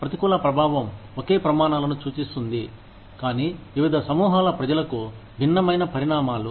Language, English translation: Telugu, Adverse impact indicates, same standards, but different consequences, for different groups of people